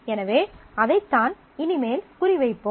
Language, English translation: Tamil, So, that is what we will target henceforth